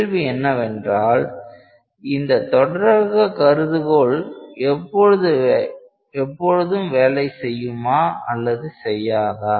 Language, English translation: Tamil, So, question is, does the continuum hypothesis always work or it may not work